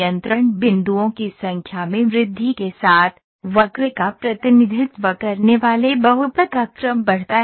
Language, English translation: Hindi, With an increase in number of control points, the order of the polynomial representing the curve increases